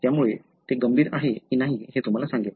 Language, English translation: Marathi, So, that would tell you, whether it is critical